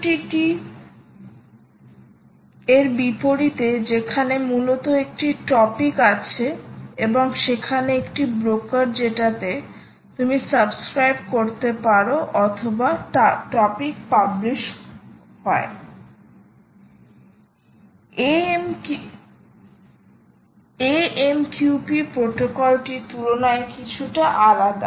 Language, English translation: Bengali, ok, and unlike mqtt, where basically there is a topic and there is a broker to which you, you subscribe or publish to the topic, mqp is a little different compared to that